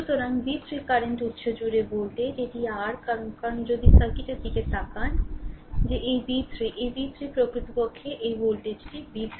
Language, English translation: Bengali, So, v 3 is the voltage across the current source, this is your because if you look into the circuit that this v 3 ah this v 3 actually this actually this voltage is v 3 right